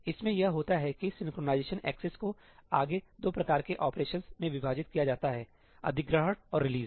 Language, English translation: Hindi, In this what happens is that the synchronization accesses are further divided into 2 kinds of operations: acquire and release